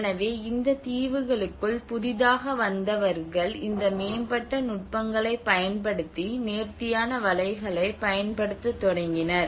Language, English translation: Tamil, So these advanced techniques these newcomers into these islands they started using the fine nets